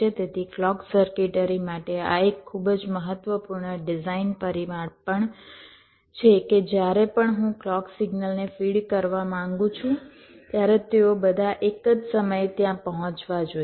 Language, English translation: Gujarati, so this is also one very important design parameter for clock circuitry: that whenever i want to, whenever i want to feed the clock signal, they should all reach there almost at the same time